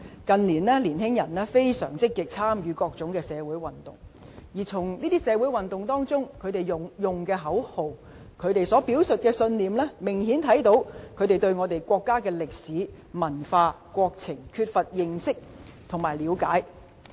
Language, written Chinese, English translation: Cantonese, 近年，年輕人相當積極參與各項社會運動，而從他們在這些社會運動中使用的口號和表述的信念，明顯看到他們對國家歷史、文化和國情缺乏認識和了解。, In recent years young people have been participating in social movements proactively but from the slogans they used and the convictions they expressed it is evident that they lack knowledge and understanding about the history culture and situation of our country